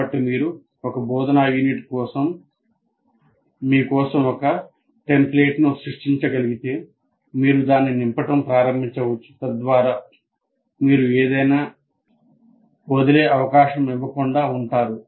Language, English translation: Telugu, So if you have some kind of a, create a template for yourself, for instructional unit, then you can start filling it up so that you are not leaving anything to chance